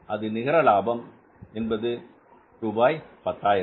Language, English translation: Tamil, So this is a net profit of the 10,000